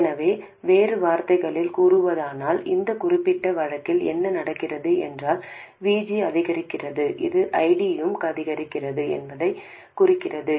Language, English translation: Tamil, So in other words, if in this particular case what happens is VG increases which implies that ID also increases